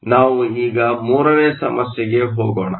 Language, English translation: Kannada, So, let us now go to problem 3